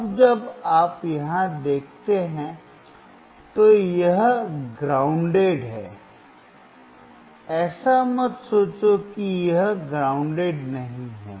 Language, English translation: Hindi, Now when you see here this is grounded, do not think that is not grounded